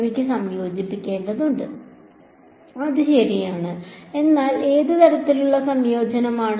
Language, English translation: Malayalam, I need to integrate that is right, but what kind of integration